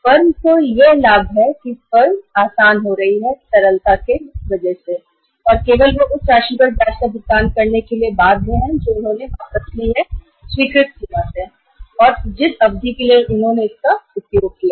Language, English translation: Hindi, The benefit to the firm is that firm is getting easy liquidity and only they are bound to pay the interest on that amount which they have withdrawn from the sanctioned limit and for the period they have utilized it